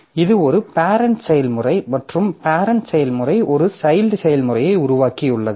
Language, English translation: Tamil, So, this parent process is created and the child process is also created